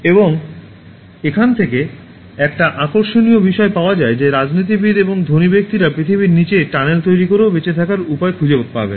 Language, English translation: Bengali, And the interesting point that it makes is that, the politicians and the rich will find means to survive even by making tunnels under the earth